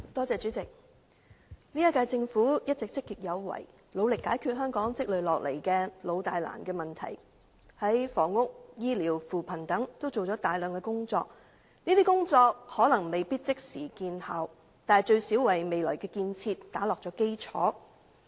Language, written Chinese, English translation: Cantonese, 主席，本屆政府一直積極有為，努力解決香港積累下來的老大難問題，在房屋、醫療、扶貧等方面均做了大量工作，這些工作可能未必即時見效，但最少為未來建設打下基礎。, President all along the current - term Government has made strenuous efforts in a proactive manner to resolve the long - standing problems accumulated in Hong Kong . It has done a lot of work in various aspects such as housing health care and poverty alleviation . Such work may not produce any immediate effect but at least it has laid the foundation for future development